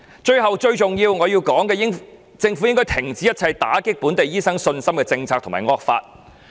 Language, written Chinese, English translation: Cantonese, 最後，最重要的是，政府應該停止一切打擊本地醫生信心的政策及惡法。, What a waste . Finally the most important of all is that the Government should call a halt to all those policies and draconian laws that will shatter the confidence of local doctors